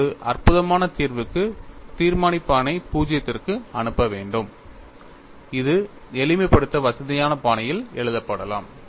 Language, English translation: Tamil, For non trivial solution, you have to have the determinant, should go to 0; and which could be written in a fashion convenient for simplification